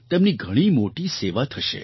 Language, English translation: Gujarati, This will be a big help to them